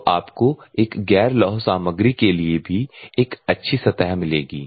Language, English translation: Hindi, So, you will get a good surface in terms of a non ferrous materials also